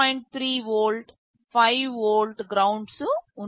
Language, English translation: Telugu, 3 volt, 5 volts, ground